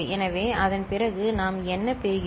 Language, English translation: Tamil, So, after that what we are getting